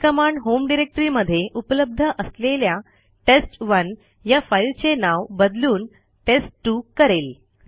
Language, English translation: Marathi, This will rename the file named test1 which was already present in the home directory to a file named test2